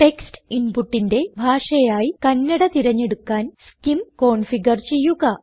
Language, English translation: Malayalam, Configure SCIM to select Kannada as a language for text input